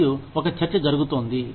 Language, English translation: Telugu, And, there is a debate, going on